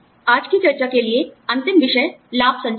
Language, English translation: Hindi, Last topic, for today's discussion is, benefits communication